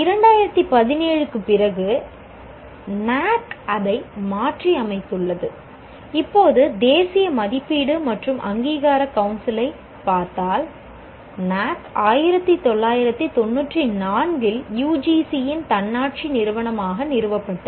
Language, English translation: Tamil, Now NAC, if you look at National Assessment and Accreditation Council, was established in 1994 as an autonomous institution of UGC